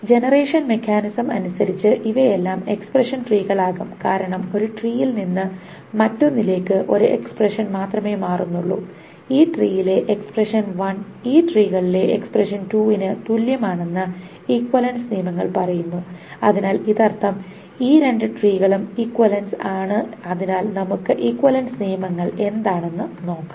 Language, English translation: Malayalam, And by the generation mechanism these are all going to be equivalent expression trees because from one tree to the another only one expression is changed and the equivalence rules says that the expression one in this tree is equivalent to the expression 2 in this tree